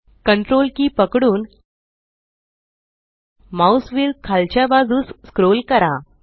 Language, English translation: Marathi, Hold Ctrl and scroll the mouse wheel downwards